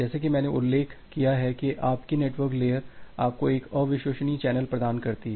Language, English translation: Hindi, So, as I have mentioned that your network layer provides you an unreliable channel